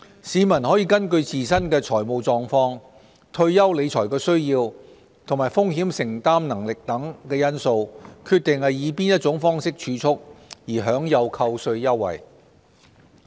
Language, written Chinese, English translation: Cantonese, 市民可根據自身的財務狀況、退休理財需要和風險承擔能力等因素，決定以何種方式儲蓄，而享有扣稅優惠。, A person can decide his way of saving to enjoy tax deductions in accordance with factors like his own financial conditions post - retirement financial needs and risk taking capacity